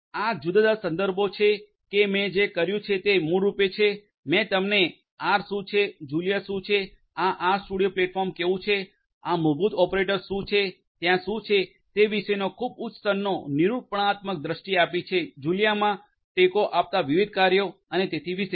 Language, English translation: Gujarati, These are these different references that what I have done is basically, I have given you a very high level expository view of what is R, what is Julia, how is this R studio platform like, what are these basic operators that are there, what are the different functions that are supported in Julia and so on